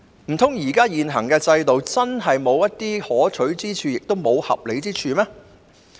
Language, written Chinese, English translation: Cantonese, 難道現行制度真的毫無可取之處，亦無合理之處嗎？, Is the existing regime genuinely totally worthless and irrational?